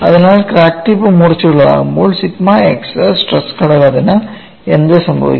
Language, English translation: Malayalam, So, when the crack tip is blunt, what would happen to the sigma x stress component